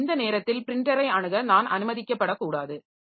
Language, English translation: Tamil, So, I should not be allowed to access the printer at this point of time